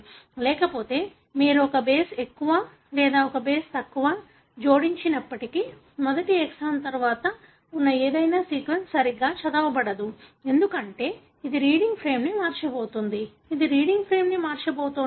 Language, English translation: Telugu, Otherwise you may, even if you add one base more or one base less, then any sequence that is present after the first exon will not be read properly, because it is going to shift the reading frame, it is going to alter the reading frame